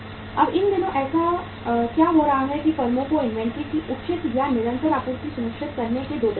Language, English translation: Hindi, Now these days what is happening that to ensure the proper or the continuous supply of inventory to the firms there are 2 ways